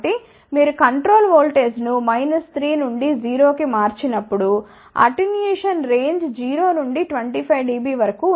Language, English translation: Telugu, So, as you change the control voltage from minus 3 to 0 volt the attenuation range will be from 0 to about 25 dB